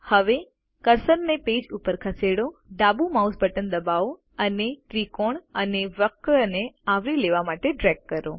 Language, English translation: Gujarati, Now move the cursor to the page, press the left mouse button and drag to cover the triangle and the curve